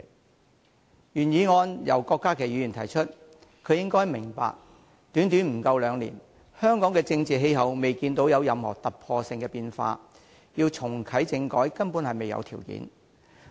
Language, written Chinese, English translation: Cantonese, 今天的原議案由郭家麒議員提出，他應該明白，在短短不到兩年間，香港的政治氣候未見任何突破性的變化，要重啟政改根本未有條件。, The original motion today was proposed by Dr KWOK Ka - ki yet he should know that without any breakthrough in Hong Kongs political environment within this short period of less than two years we simply do not have the conditions for reactivating constitutional reform